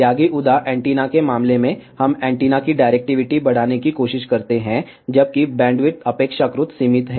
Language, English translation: Hindi, In case of yagi uda antenna, we try to increase the directivity of the antenna, whereas bandwidth is relatively limited